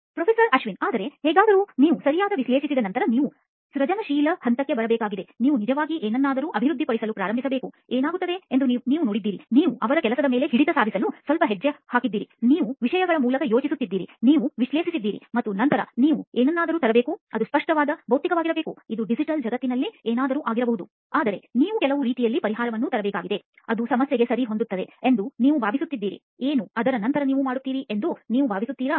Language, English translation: Kannada, But anyway after you sort of analyse right, you’ve got to get into a creative phase, we have to actually then start developing something, you have seen what happens, you have stepped into their shoes a little bit, you have thought through things you have analyse and then you have to come up with something, it can be tangible, physical, it can be something in the digital world, but you got to come up with in some ways solution which you think might fit the problem right, what do you think you do after that